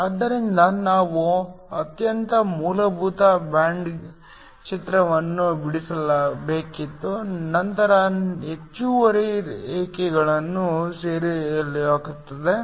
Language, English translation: Kannada, So, we were to draw a very basic band picture, I just draw the extra lines